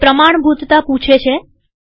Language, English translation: Gujarati, It asks for authentication